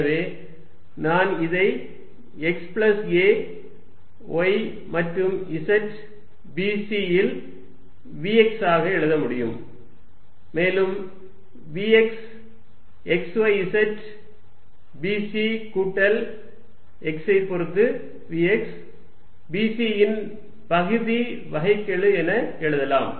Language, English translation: Tamil, So, which I can write as v x at x plus a y and z b c, which I can further write as vx x y z b c plus partial derivative of v x with respect to x b c